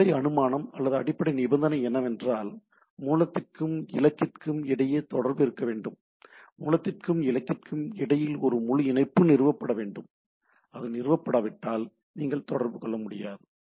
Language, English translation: Tamil, The basic assumption or basic condition is that there should be connection between the source and destination, a full connection should be established between the source and destination, unless it is established then you cannot do